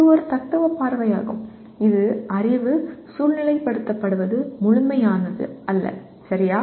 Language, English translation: Tamil, This is also a philosophical view that knowledge is contextualized not absolute, okay